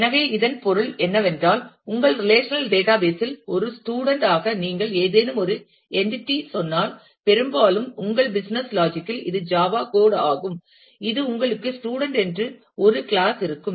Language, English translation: Tamil, So, which means that, if you have say some entity as a student in your relational database then, most likely in your business logic, which is a java code you will have a class called student